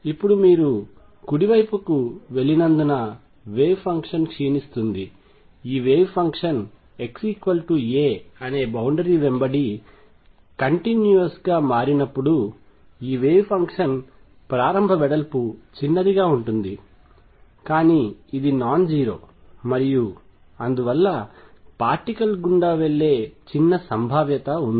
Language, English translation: Telugu, Now since the wave function decay is as you go to the right, this wave function when it becomes continuous across boundary at x equals a would be small to start width, but non zero and therefore, there is a small probability that the particle goes through the barrier